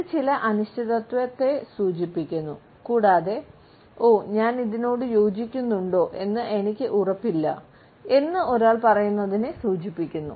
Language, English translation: Malayalam, It also signals certain uncertainty and we can almost hear a person saying oh, I am not sure whether I agree with it